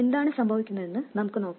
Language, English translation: Malayalam, Let's see what happens